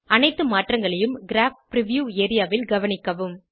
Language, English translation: Tamil, Observe all the changes in the Graph preview area